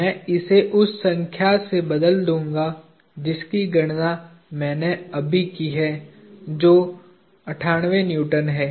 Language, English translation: Hindi, I will replace this with a number that I have just computed; 98 Newtons